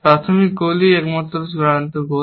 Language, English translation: Bengali, The initial goal is the only final goal